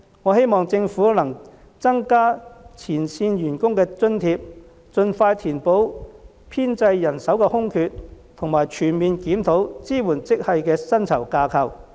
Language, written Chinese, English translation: Cantonese, 我希望政府能增加前線員工的津貼，盡快填補編制人手的空缺和全面檢討支援職系的薪酬架構。, I hope that the Government can increase the allowances to frontline staff quickly fill the vacancies in staff establishment and holistically review the remuneration structure of supporting grades